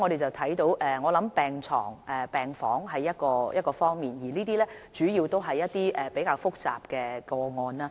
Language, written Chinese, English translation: Cantonese, 由此可見，病床和病房是其中一個方面，主要關乎較複雜的個案。, It can thus be seen that beds and wards are one of the aspects and they mainly involve more complex cases